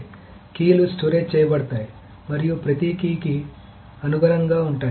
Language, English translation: Telugu, So the keys are stored and then corresponding to each key